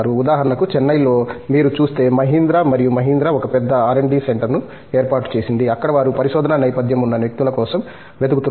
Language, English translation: Telugu, For example, in Chennai itself if you look at it Mahindra and Mahindra have set up a big R&D center, where they are looking for people with the research background